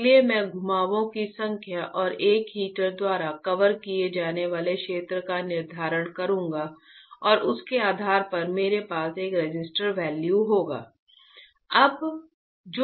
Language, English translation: Hindi, So, I will decide the number of turns and the area that a heater will cover and depending on that I will have a resistor value